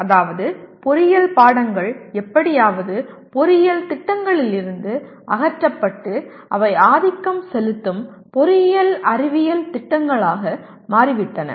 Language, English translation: Tamil, That means engineering subjects are somehow purged out of engineering programs and they have become dominantly engineering science programs